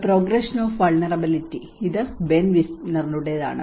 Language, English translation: Malayalam, The progression of vulnerability, this is by Ben Wisner